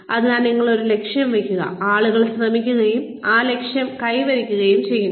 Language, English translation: Malayalam, So, you set a goal, and people will try, and achieve that goal